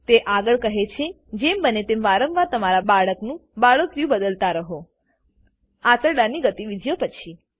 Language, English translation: Gujarati, She further says that you should change your babys cloth diaper frequently, and as soon as possible after bowel movements